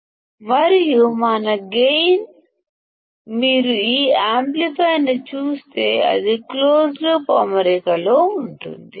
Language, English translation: Telugu, And our gain, if you see this amplifier it is in the closed loop configuration